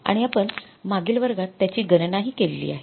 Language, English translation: Marathi, We calculated in the previous class